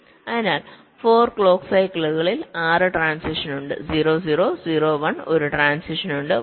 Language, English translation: Malayalam, so in four clock cycles there are six transitions, like: from zero, zero, zero, one